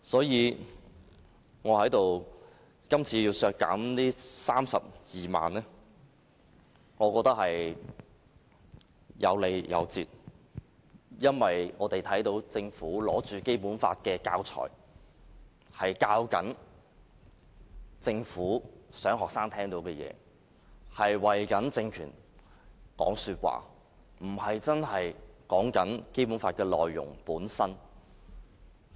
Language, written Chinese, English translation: Cantonese, 因此，我認為今次要削減這32萬元，是有理有節的，因為我們看到政府拿着《基本法》的教材，教導學生政府聽到的事情，為政權說項，而不是真的說《基本法》的內容本身。, I therefore maintain that this deduction of 320,000 is in fact well justified . The reason is that as we can see with the use of these materials the Government is trying to make students listen to things it wants them to learn . These materials are simply meant to speak favourably for the Government rather than actually teaching the contents of the Basic Law